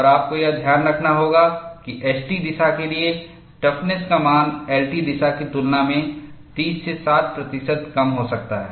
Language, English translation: Hindi, And you have to note, the toughness values for S T direction may be 30 to 60 percent lower than for L T direction